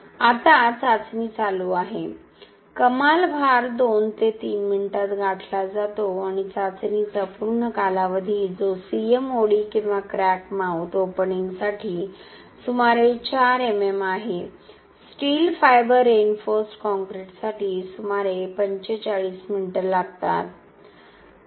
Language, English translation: Marathi, Now the test is running, the peak load is achieved in 2 to 3 minutes time and the complete duration of the test that is for a CMOD or crack mouth opening of around 4 MM it takes to around 45 minutes for steel fiber reinforced concrete